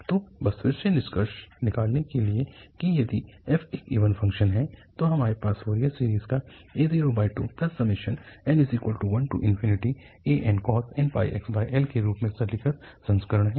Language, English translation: Hindi, So, just to conclude again that if f is an even function, we have rather simplified version of the Fourier series where an can be computed by this formula 2 over L, 0 to L f x cos n pi x over L